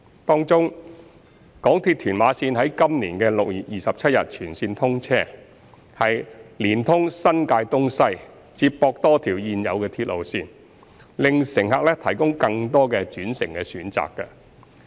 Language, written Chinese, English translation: Cantonese, 當中，港鐵屯馬綫於今年6月27日全線通車，連通新界東西，接駁多條現有鐵路線，為乘客提供更多的轉乘選擇。, On railway services the full commissioning of Tuen Ma Line on 27 June this year which has enhanced the railway network and connected the east and west of the New Territories has provided more interchange choices for passengers